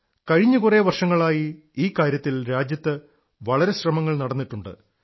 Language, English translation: Malayalam, In our country during the past few years, a lot of effort has been made in this direction